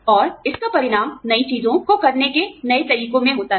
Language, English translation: Hindi, And, that results in newer things, newer ways of doing things